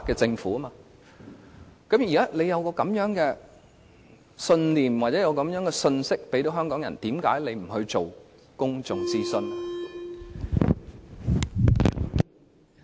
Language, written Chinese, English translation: Cantonese, 政府現時有這樣的信念或信息傳遞給香港人，那為甚麼政府不願意進行公眾諮詢呢？, Since the Government wants to convey to this message to Hong Kong people now why does it remain reluctant to conduct a public consultation then?